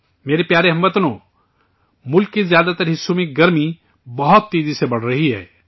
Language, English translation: Urdu, My dear countrymen, summer heat is increasing very fast in most parts of the country